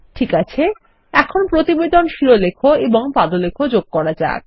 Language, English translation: Bengali, Okay, now let us add some report headers and footers